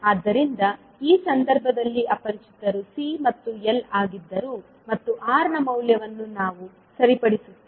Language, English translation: Kannada, So in this case the unknowns were C and L and we fix the value of R